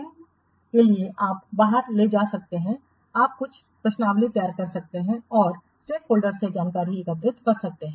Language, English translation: Hindi, For this you may carry out, you may prepare some questionaries and collect the information from the stakeholders